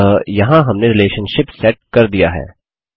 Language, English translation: Hindi, So there, we have set up one relationship